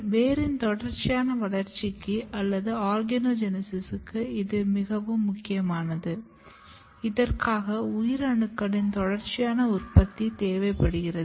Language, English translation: Tamil, And this is very important for continuous growth of the root, for development of the root, for growth of the root or for lot of organogenesis, always a continuous production of cells are required